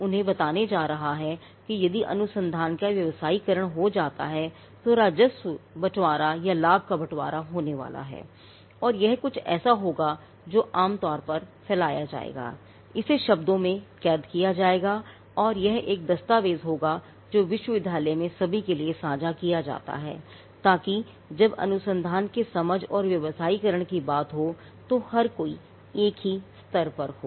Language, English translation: Hindi, It is going to tell them if the research get commercialized then there is going to be revenue sharing or profit sharing and this would be something that will be commonly spread; it will be captured in words and it will be a document that is shared to everyone in the university, so that everybody is at the same level when it comes to understanding research and the commercialization of research